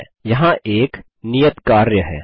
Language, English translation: Hindi, Okay, here is another assignment